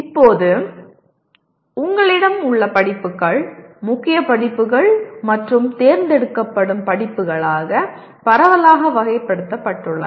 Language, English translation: Tamil, Now, courses that you have are broadly classified into core courses and electives